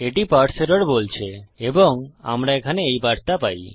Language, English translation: Bengali, It says Parse error and we get this message here